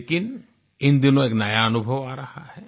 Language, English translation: Hindi, But these days I'm experiencing something new